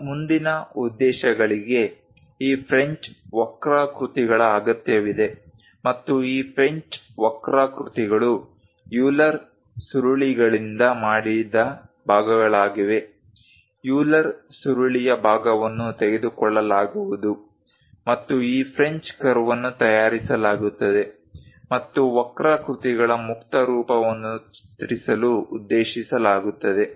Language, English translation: Kannada, Further purpose we require this French curves and this French curves are segments made from Euler spirals; part of the Euler spiral will be taken, and this French curve will be made and meant for drawing free form of curves